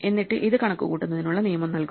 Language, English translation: Malayalam, And then it gives you the rule to compute it